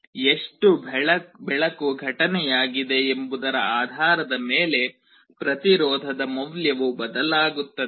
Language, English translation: Kannada, Depending on how much light has been incident, the value of the resistance changes